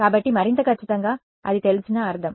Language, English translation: Telugu, So, more precisely means it is known